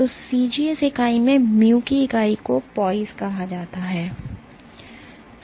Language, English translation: Hindi, So, in CGS unit, unit of mu is called Poise